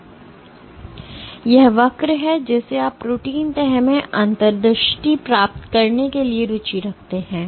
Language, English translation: Hindi, So, this is the curve that you are interested in for getting insight into protein folding